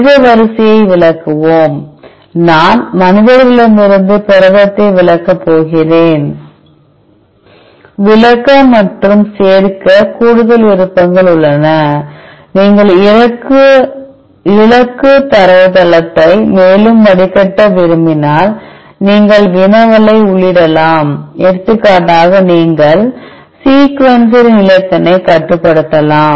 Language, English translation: Tamil, Let us exclude the human sequence, I am going to exclude the protein from the humans, there are additional options to exclude and include, in case you want to filter the target database further you can enter the querry for example, you can restrict the sequencer length here